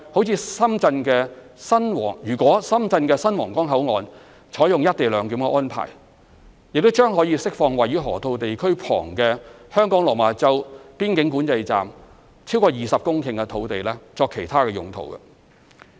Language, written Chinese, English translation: Cantonese, 此外，如深圳的新皇崗口岸採用"一地兩檢"安排，將可釋放位於河套地區旁的香港落馬洲邊境管制站超過20公頃土地作其他用途。, In addition if co - location arrangements are to be implemented at the new Huanggang Port in Shenzhen over 20 hectares of land near the Loop in the Lok Ma Chau Control Point of Hong Kong can be released for other uses